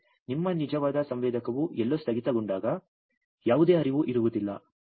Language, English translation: Kannada, But your actual sensor whenever it will be hang somewhere, there will hardly any flow